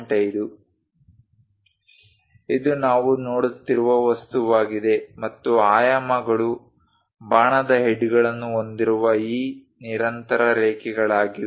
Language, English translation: Kannada, This is the object what we are looking at is a stepped one and the dimensions are these continuous lines with arrow heads